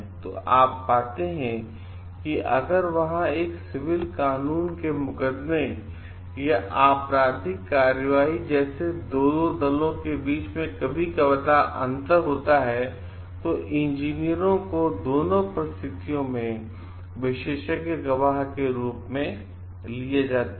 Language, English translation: Hindi, So, you find like if there is a difference in both the civil law suits or criminal proceedings or like there is a difference between the 2 parties like engineers sometimes taken to be as expert witness